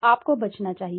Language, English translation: Hindi, You should avoid